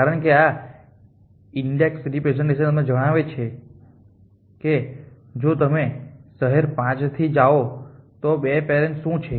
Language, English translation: Gujarati, as the index representation it tells you exactly that if you 1 go from 6 from city 5 what are 2 parents in